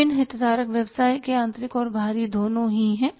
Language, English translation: Hindi, Different stakeholders are both internal and external of the business